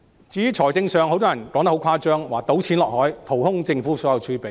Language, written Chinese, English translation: Cantonese, 至於財政方面，很多人說得很誇張，說"倒錢落海"，淘空政府所有儲備。, On financial aspects many people are very exaggerated in saying that reclamation is tantamount to dumping money into the sea and depleting all the reserves of the Government